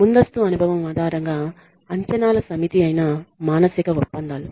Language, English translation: Telugu, Psychological contracts which is the set of expectations based on prior experience